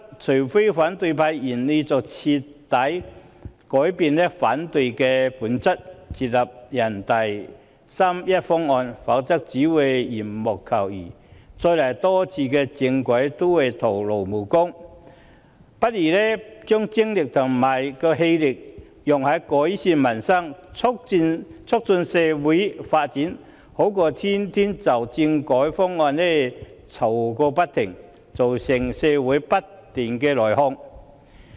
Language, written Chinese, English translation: Cantonese, 除非反對派願意徹底改變，接納人大八三一決定方案，否則只會是緣木求魚，再多幾次政改也只是徒勞無功，不如把精力放在改善民生和促進社會發展上，總比天天就政改方案吵個不停，造成社會不斷內耗好。, Unless the opposition party is willing to change completely and accept the proposal made under the 31 August Decision otherwise all efforts will be fruitless and further constitutional reforms will also be in vain . It is better to put our effort on improving peoples livelihood and fostering social development than engaging in the never - ending quarrels on constitutional reform which causes continuous internal attrition in the community